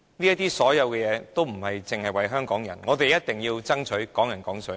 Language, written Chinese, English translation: Cantonese, 這些所有事，並非只為香港人，我們一定要爭取"港人港水"。, All these are not done for the people of Hong Kong . We must strive for Hong Kong people Hong Kong water